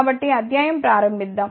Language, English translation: Telugu, So, let us start the lecture